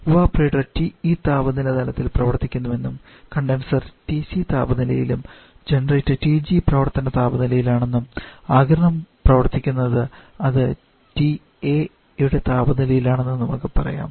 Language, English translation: Malayalam, Let us say the evaporator is working at a temperature level of TE and condenser at temperature TC generator is working temperature of TG and evaporation sorry the absorption is working and temperature of TA